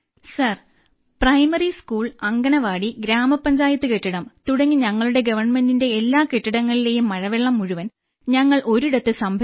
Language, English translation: Malayalam, Sir, through rainwater harvesting at government buildings like primary school, Anganwadi, our Gram Panchayat building… we have collected all the rain water there, at one place